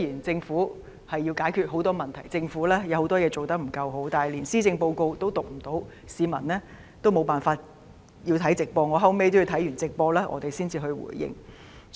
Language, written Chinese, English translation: Cantonese, 政府要解決很多問題，也有很多事情做得不夠好，但連施政報告也無法宣讀，市民也只能觀看直播，我自己也要看畢直播才能作出回應。, The Government has to solve many problems and its performance in many areas has a lot to be desired . But not even the Policy Address could be delivered and the public could only watch the video broadcast . Even I myself had to watch the video broadcast before I could give a response